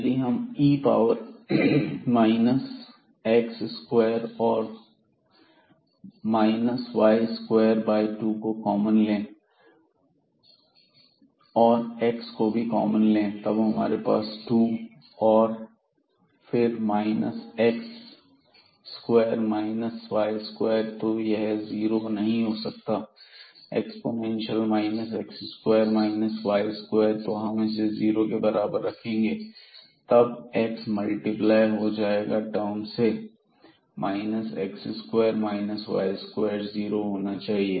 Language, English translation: Hindi, So, we will get this x square minus y square and the derivative of this term again the same x square minus y square by 2 and then there will be a term minus 2 x divided by minus x plus the derivative of this with respect to x and then we have e power minus x square minus y square by 2 term